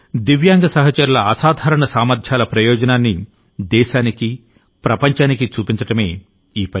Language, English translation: Telugu, It has served to bring the benefit of the extraordinary abilities of the Divyang friends to the country and the world